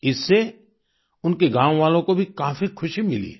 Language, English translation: Hindi, This brought great happiness to his fellow villagers too